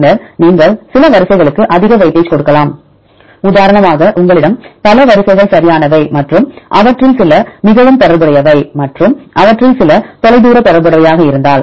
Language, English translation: Tamil, Then also you can give some sequences more weightage; For example, if you have several sequences right and some of them are highly related and some of them are distant related